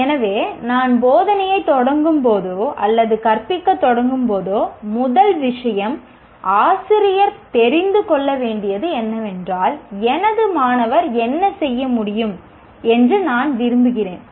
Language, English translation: Tamil, So, whenever I start instruction or when I start teaching, first thing the teacher need to know what is it that I want my student to be able to do and that will become our reference